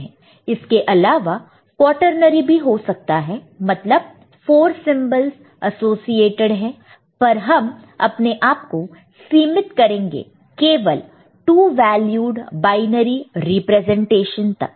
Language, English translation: Hindi, There could be quaternary 4 symbols can be associated and all, but we shall be restricting ourselves here to two valued binary representation